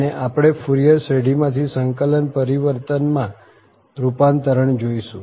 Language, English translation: Gujarati, And we will see the transformation from the Fourier series to the integral transform